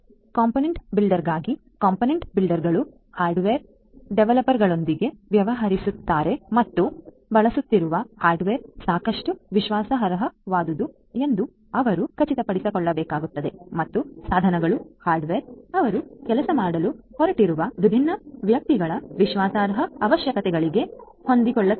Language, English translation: Kannada, For the component builder; component builders deal with hardware developers and they will have to ensure that the hardware that are being used are trustworthy enough and the devices the hardware, they are compatible with the trust requirements of the different ones with whom they are going to work